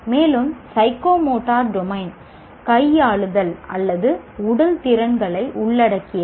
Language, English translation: Tamil, And the psychomotor domain involves manipulative or physical skills